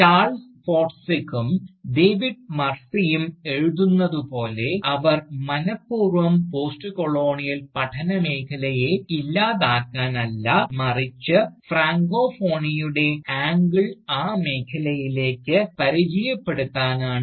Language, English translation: Malayalam, So, as Charles Forsdick and David Murphy writes, that they have deliberately chosen, not to do away with the field of Postcolonial studies, but to merely introduce the angle of francophony, to that field